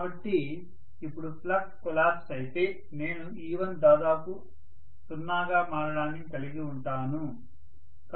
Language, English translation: Telugu, So now if flux collapses I am going to have e1 becoming almost 0